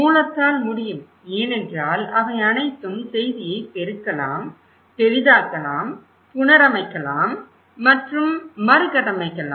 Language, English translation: Tamil, And source can because they can all amplify, magnify, reconstruct and deconstruct the message